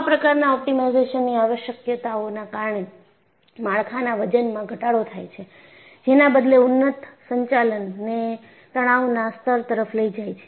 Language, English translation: Gujarati, And these optimization requirements have resulted in reduction in the weight of structures, which in turn leads to, enhanced operating stress levels